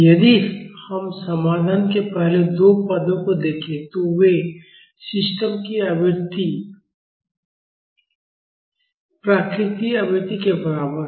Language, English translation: Hindi, If we look at the first two terms of the solution, they are of the frequency equal to natural frequency of the system